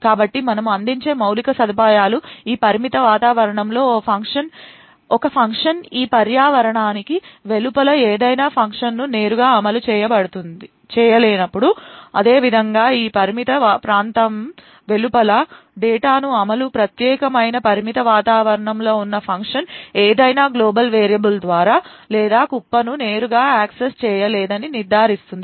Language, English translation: Telugu, So the infrastructure that we provide would ensure that when a function that a function executing in this confined environment cannot directly invoke any function outside this environment, similarly a function present inside this particular confined environment would not be able to directly access any global variable or heap data present outside this confined area